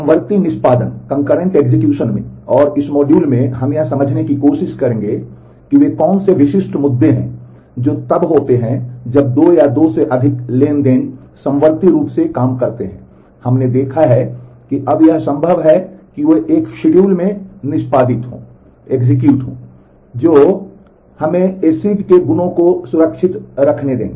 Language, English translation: Hindi, In concurrent execution and in this module, we will look try to understand, what are the very specific issues that happen when 2 or more transactions work concurrently we have seen that now it is possible that they execute in a schedule, which would not let us preserve the acid properties